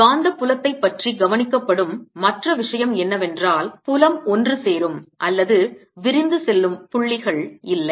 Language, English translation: Tamil, the other thing which is observed about magnetic field is that there are no points where the field converges to or diverges from